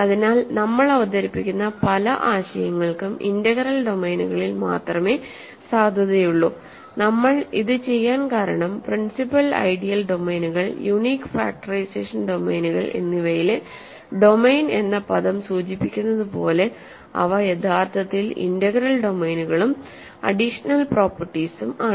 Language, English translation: Malayalam, So, many of the concepts that we will introduce are valid only for integral domains and the reason we do this is principal ideal domains, unique factorization domains as the word domain suggests, they are actually integral domains and with additional properties